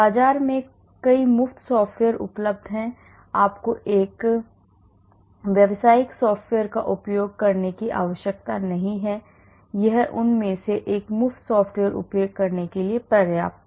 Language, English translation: Hindi, There are many free software is available in the market, you do not need to use a commercial software it is good enough to use a free software one of them